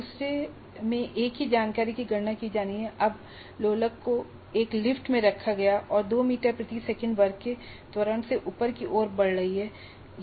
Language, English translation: Hindi, But in the second one, the same information is to be calculated, but now the pendulum is placed in a lift which is moving upwards within an acceleration of 2 meters per second square